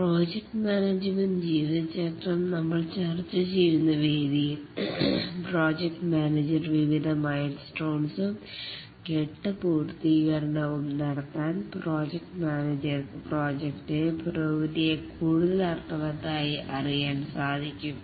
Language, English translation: Malayalam, As we are discussing, the project management lifecycle allows the project manager to have various milestones and stage completion by which the project manager can track the progress of the project more meaningfully